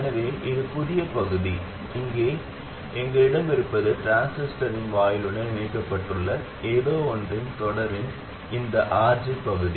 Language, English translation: Tamil, So what we have is this part, this RG in series with something here that is connected to the gate of the transistor